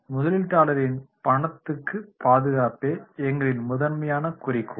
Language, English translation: Tamil, Safeguarding interests of investors is our prime objective